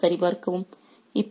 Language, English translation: Tamil, Here check again